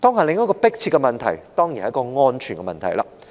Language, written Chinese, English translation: Cantonese, 另一個迫切的問題當然是安全的問題。, Another pressing issue is certainly the safety of these units